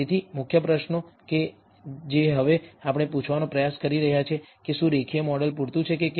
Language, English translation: Gujarati, So, the main questions that we are trying to ask now whether a linear model is adequate